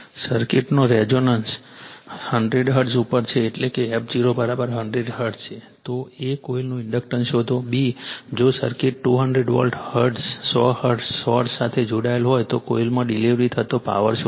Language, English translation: Gujarati, The circuit resonates at 100 hertz that means your f 0 is equal to 100 hertz; a, determine the inductance of the coil; b, If the circuit is connected across a 200 volt 100 hertz source, determine the power delivered to the coil